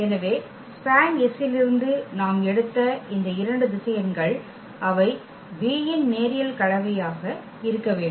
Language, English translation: Tamil, So, these two vectors which we have taken from the span S they must be the linear combination of the v’s